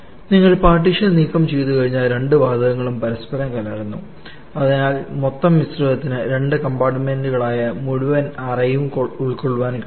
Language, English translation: Malayalam, And what is your remove the partition both the gases are mixed with each other and therefore the total mixture is able to occupy the entire chamber that is both the compartment together